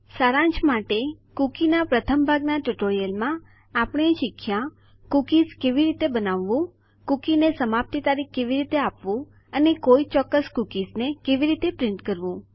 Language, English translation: Gujarati, Just to summarise in the first part of the cookie tutorial, we learnt how to create cookies, how to give an expiry date to the cookie and how to print out specific cookies